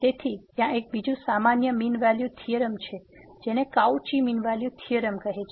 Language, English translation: Gujarati, So, there is another one the generalized mean value theorem which is also called the Cauchy mean value theorem